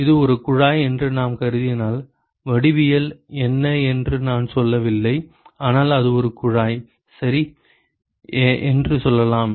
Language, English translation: Tamil, If I assume that it is a tube, I have not said what the geometry is, but let us say it is a tube ok